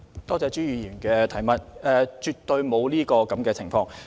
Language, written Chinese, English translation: Cantonese, 多謝朱議員的補充質詢，絕對沒有這種情況。, I thank Mr CHU for his supplementary question; however the situation he refers to is not true